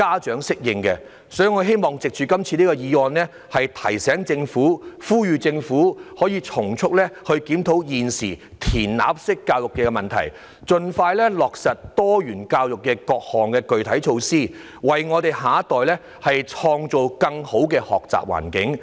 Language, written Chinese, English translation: Cantonese, 所以，我希望藉着今次議案呼籲政府從速檢討現時"填鴨式"教育的問題，盡快落實各項具體的多元教育措施，為我們的下一代創造更好的學習環境。, Through this motion I hope to call on the Government to expeditiously review the problems brought by the spoon - fed education and to expedite the implementation of specific measures to establish diversified education so that a better learning environment for our younger generation can be recreated